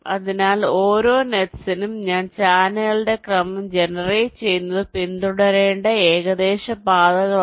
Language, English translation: Malayalam, so for our, for each of the nets i generate ah sequence of the channels, are the approximate paths that are to be followed